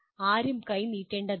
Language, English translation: Malayalam, Nobody need to hold out hand